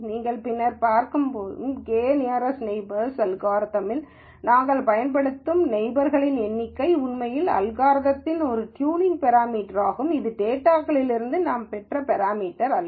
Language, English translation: Tamil, The number of neighbors that we use in the k nearest neighbor algorithm that you will see later, is actually a tuning parameter for the algorithm, that is not a parameter that I have derived from the data